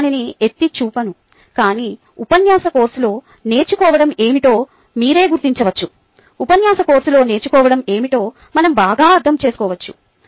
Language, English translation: Telugu, i am not pointed out, but you can yourself figure out what learning in lecturer courses, understand better what learning in the lecture courses as we go along